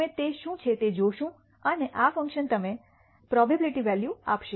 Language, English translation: Gujarati, We will see what it is and this function will give you the probability value